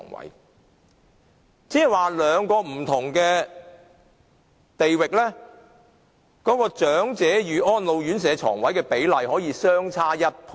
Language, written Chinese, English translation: Cantonese, 換句話說，兩個不同地區的長者與安老院舍床位的比例可以相差1倍。, In other words the ratio between elderly person and RCHE bed in two different districts may differ by 100 %